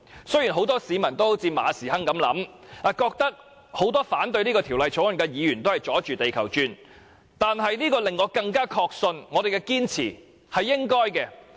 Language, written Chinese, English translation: Cantonese, 雖然很多市民也像馬時亨一樣，認為很多反對《條例草案》的議員是"阻住地球轉"，但這反而令我更確信我們的堅持是應該的。, Like Mr Frederick MA many members of the public think that Members who oppose the Bill were throwing a spanner in the works . They have nonetheless reassured me that our perseverance is warranted